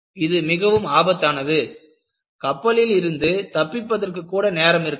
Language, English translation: Tamil, It is very dangerous; there is not even time for you to escape out